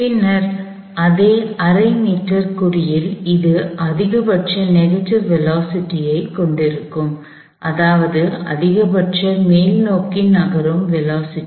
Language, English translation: Tamil, And then at the same half meter mark, it would have the maximum negative velocity, meaning maximum upward moving velocity